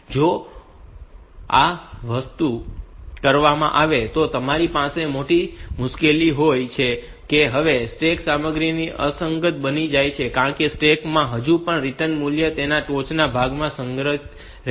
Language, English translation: Gujarati, Now, if this thing is done then the measured difficulty that, you have is that now the stack content becomes inconsistent because the stack will still have the return value stored in the in its top